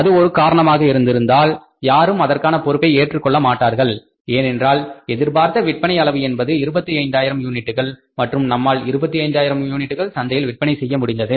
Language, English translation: Tamil, So, if that is the thing then nobody will be held responsible because if the quantity say decided to be sold was 25,000 units and we have been able to pass on 25,000 units in the market or sell 25,000 units in the market